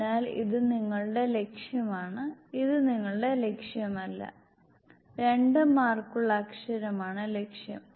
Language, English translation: Malayalam, So this is your target, this is not your target, the target is that letter which is with 2 marks